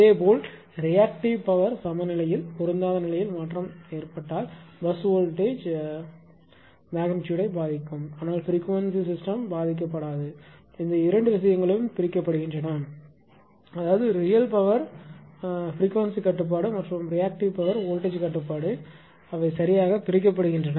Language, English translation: Tamil, Similarly, if a if there is a change in the reactive power mismatch in reactive power balance it basically affects the bus voltage magnitude, but leaves the system frequency essentially unaffected; that means, these two things are decoupled; that means, real power frequency control we and that reactive power voltage control they are decoupled right